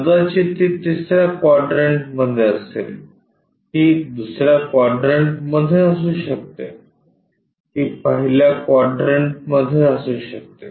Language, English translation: Marathi, Maybe, it is in 3rd quadrant, it may be in 2nd quadrant, it may be in the 1st quadrant